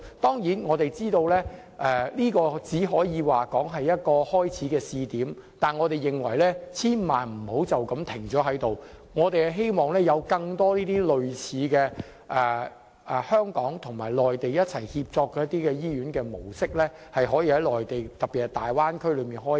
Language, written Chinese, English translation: Cantonese, 當然，我們知道這只是一個試點，但我們認為千萬不要就這樣停下來，我們希望有更多類似的香港與內地協作模式營運的醫院，可以在內地特別是大灣區開展。, Of course we know that this is only a pilot scheme but we do not want it to stop there . It is our hope that more similar hospitals operating under a model of collaboration between Hong Kong and the Mainland can be established in the Mainland especially in the Bay Area